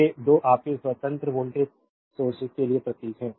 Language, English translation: Hindi, So, these 2 are symbol for your independent voltage sources right